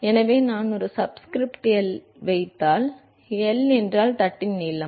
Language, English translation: Tamil, So, if I put a subscript L, if L is the length of the plate